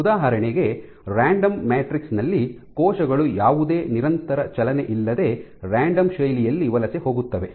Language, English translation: Kannada, So, for example, on a random matrix cells will tend to migrate in a random fashion without any persistent motion